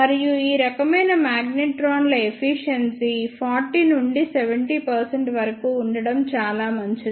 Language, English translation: Telugu, And the efficiency of ah these type of magnetrons is fairly good which is from 40 to 70 percent